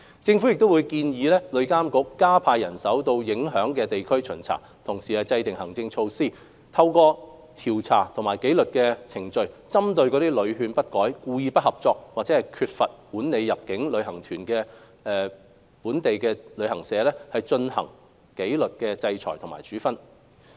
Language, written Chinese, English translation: Cantonese, 政府亦會建議旅監局加派人員到受影響地區巡查，同時制訂行政措施，透過調查及紀律程序，針對屢勸不改、故意不合作及缺乏管理入境旅行團到訪店鋪安排的本地接待旅行代理商或店鋪，進行紀律制裁等處分。, The Government will also recommend TIA to deploy more manpower to conduct on - site inspection in affected areas as well as formulate suitable administrative measures against local receiving travel agents or shops that are unamenable to repeated advice willfully non - cooperative and fail to manage inbound tour groups visits to shops . Such agents or shops will be subject to sanction such as disciplinary orders through investigation and disciplinary proceedings